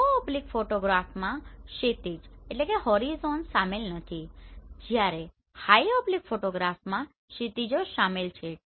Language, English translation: Gujarati, So in low oblique photograph horizons are not included whereas in high oblique horizons are included